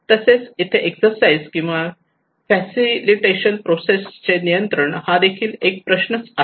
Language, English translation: Marathi, Also there is a question of control of exercise or facilitation process